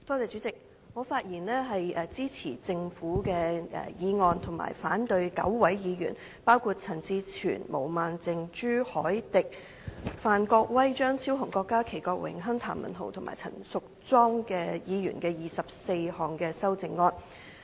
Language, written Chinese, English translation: Cantonese, 主席，我發言支持《廣深港高鐵條例草案》，反對9位議員，包括陳志全議員、毛孟靜議員、朱凱廸議員、范國威議員、張超雄議員、郭家麒議員、郭榮鏗議員、譚文豪議員及陳淑莊議員的24項修正案。, Chairman I rise to speak in support of the Guangzhou - Shenzhen - Hong Kong Express Rail Link Co - location Bill the Bill but against the 24 amendments proposed by 9 Members namely Mr CHAN Chi - chuen Ms Claudia MO Mr CHU Hoi - dick Mr Gary FAN Dr Fernando CHEUNG Dr KWOK Ka - ki Mr Dennis KWOK Mr Jeremy TAM and Ms Tanya CHAN